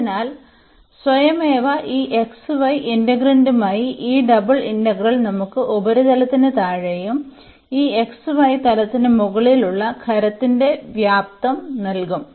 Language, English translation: Malayalam, So, this automatically this double integral with the integrand this xy will give us the volume of the solid below by the surface and above this xy plane